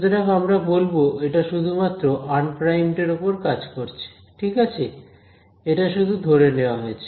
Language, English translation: Bengali, So, this we will say only acts on unprimed that is fine, so that is just a assumption